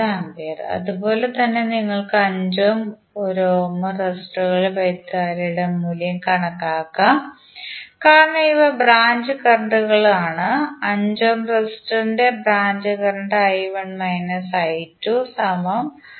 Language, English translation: Malayalam, So similarly you can calculate the value of current in 5 ohm and 1 ohm resistor because these are the branch currents and 5 for 5 ohm resistance the branch current would be I1 minus I2